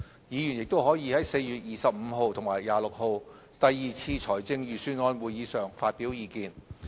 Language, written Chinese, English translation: Cantonese, 議員亦可在4月25日及26日第二次財政預算案會議上發表意見。, Members may also express their views at the next Budget meeting on 25 and 26 April